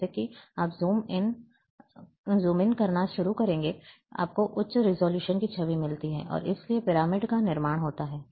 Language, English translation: Hindi, As soon as you start zoom in, you get the higher resolution image, and therefore, there is a construction of pyramid